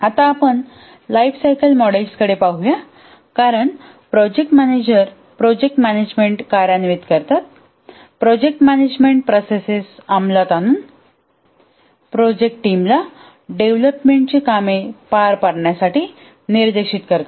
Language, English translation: Marathi, Now let's look at the lifecycle models because the project manager executes the project management the project management processes to direct the project team to carry out the development work